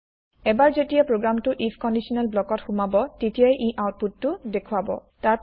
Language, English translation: Assamese, Once the program enters the if conditional block, it will first print the output